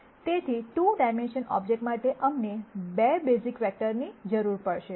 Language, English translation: Gujarati, So, for a 2 dimensional object we will need 2 basis vectors